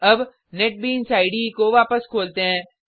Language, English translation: Hindi, Now go back to the Netbeans IDE